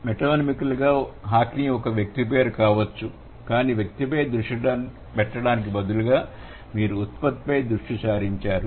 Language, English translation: Telugu, So, metonymically, Hockney could be the name of a person, but instead of focusing on the person, you are focusing on the product, right